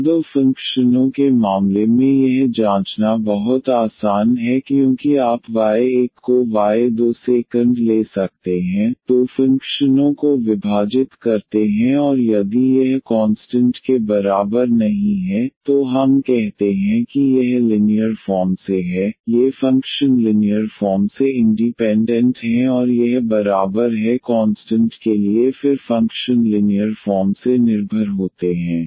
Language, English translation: Hindi, Or for the case of two functions this is very easy to check because you can take just y 1 by y 2 is divide the two functions and if this is not equal to constant then we call that this is linearly these functions are linearly independent and this is equal to constant then the functions are linearly dependent